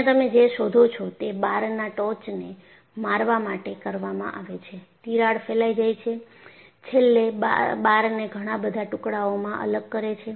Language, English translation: Gujarati, So, what do you find here is the bar is hit on the top, the crack propagates, and eventually, separates the bar into pieces